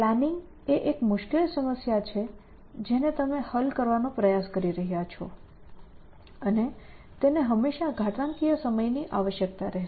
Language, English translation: Gujarati, So, planning is those one of the hard problems that you are trying to solve and it will always need some exponential amount of time essentially